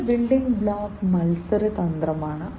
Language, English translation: Malayalam, The next building block is the competitive strategy